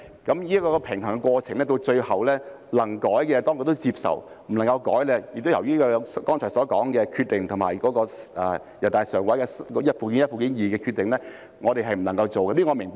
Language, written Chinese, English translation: Cantonese, 就這個平衡的過程來說，能夠修改的，當局最終也接受，不能修改的也是由於剛才所說的《決定》及人大常委會就附件一及附件二的修訂而不能做，這是我明白的。, In this process of striking a balance for amendments that were deemed possible the Administration eventually accepted them whereas for those deemed otherwise because of the Decision and NPCSCs amendments to Annexes I and II as I mentioned earlier I can understand it